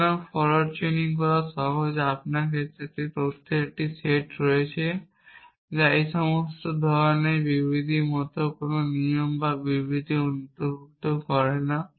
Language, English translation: Bengali, So, forward chaining is simple you have a set of facts given to you which includes no rules and statements like all these kind of statements